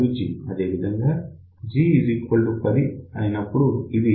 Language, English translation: Telugu, So, for G equal to 10 it comes out to be 3